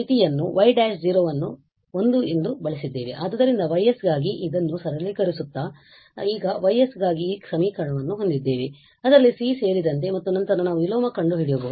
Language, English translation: Kannada, So, simplifying this for Y s we have these expressions now for Y s including the C there and then we can go for the inverse